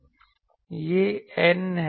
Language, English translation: Hindi, This is N